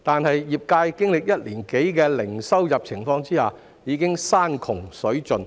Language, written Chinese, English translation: Cantonese, 可是，經歷一年多零收入的情況後，業界已山窮水盡。, Yet after having zero income for over one year the sector is at the end of its tether